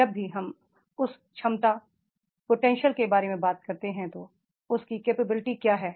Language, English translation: Hindi, What he is capable of whenever we talk about the potential that is the what capability does he have